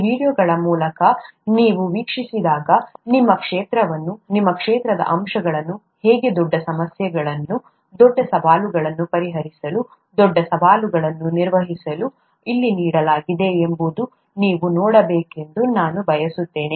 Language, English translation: Kannada, When you watch through these videos, I would like you to see how your field, the aspects of your field are being used to solve huge problems, huge challenges, overcome huge challenges as the ones that are being given here